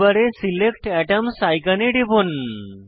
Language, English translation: Bengali, Click on Select atoms icon in the tool bar